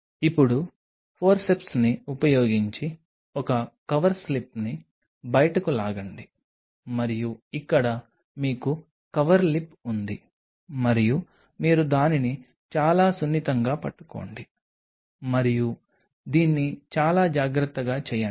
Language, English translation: Telugu, Now, pull out say one cover slip on a using a Forceps and here you have the Coverslip and you hold it very gently and this do it very carefully